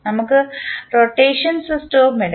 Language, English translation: Malayalam, Let us take the rotational system also